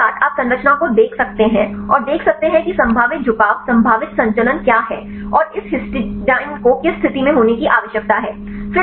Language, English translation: Hindi, With the ligands you can look at the structure and see what are the probable orientations probable conformation and what are the probability of having this histidines right in which state